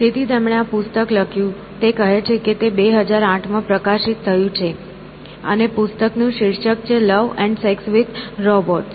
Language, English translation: Gujarati, So, he wrote this book, it is called, it has published in 2008, and the title of the book is “Love and Sex with Robots”